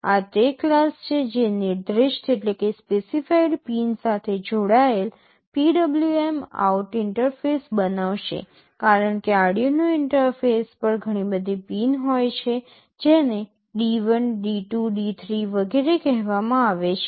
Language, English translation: Gujarati, This is the class which will be creating a PwmOut interface connected with a specified pin, because on the Arduino interface will be seeing there are many pins which are called D1, D2, D3, etc